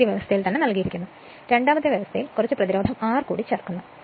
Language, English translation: Malayalam, First case given, second case some resistance R is inserted